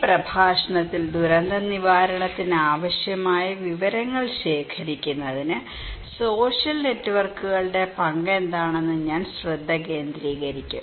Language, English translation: Malayalam, In this lecture, I will focus on what is the role of social networks to collect information that is necessary for disaster preparedness